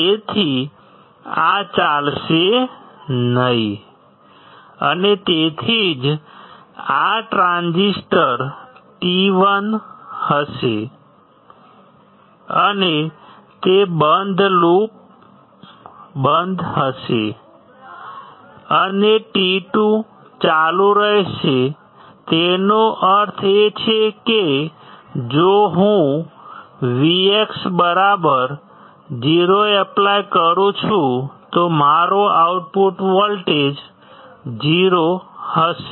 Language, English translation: Gujarati, So, this will not conduct, and that is why this will be my transistor t 1 and it would be off, and t 2 would be on and; that means, that my output voltage will be nothing but 0